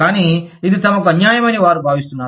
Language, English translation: Telugu, But, they feel that, this is unfair for them